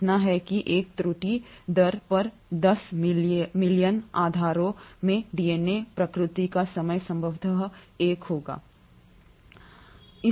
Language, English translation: Hindi, So much so that the error rate at the time of DNA replication will be probably 1 in say 10 million bases